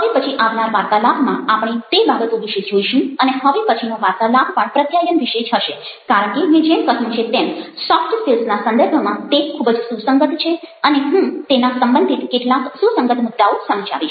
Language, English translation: Gujarati, so we shall be looking at those issues in the talks to follow, and the talk that is supposed to follow is again about communication because, as i told you, it's very relevant in the context of soft skills and i would like to illustrate some of the relevant points related to that